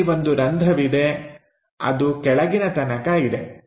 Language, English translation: Kannada, Here, there is a hole which goes all the way down